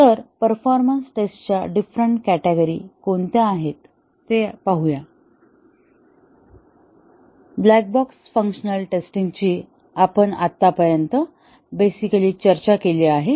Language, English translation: Marathi, So, let us see what are the different categories of performance tests that are done; The black box functional testing we have discussed so far in quite a bit of depth